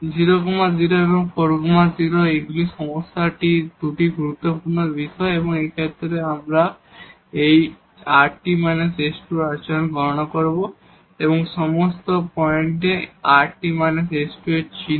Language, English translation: Bengali, 0 0 and 4 0 these are the 2 critical points of the problem and in this case, now we will compute the behavior of the of this rt minus s square, the sign of rt minus s square at all these points